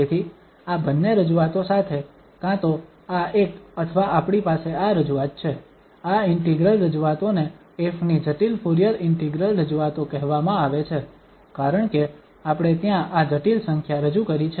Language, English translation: Gujarati, So, with this these two representations either this one or we have this representation, these integrals representations are called complex Fourier integral representation of f because we have introduced this complex number there